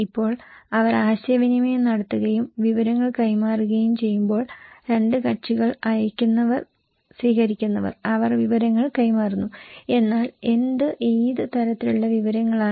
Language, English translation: Malayalam, Now, when they are communicating, exchanging informations, two parties, senders and receivers, they are exchanging information but information about what, what kind of information